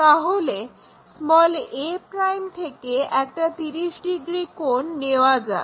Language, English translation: Bengali, So, take 30 degree angle from a'